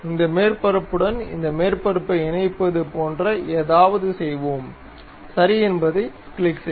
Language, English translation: Tamil, Let us do something like mate this surface with that surface, and click ok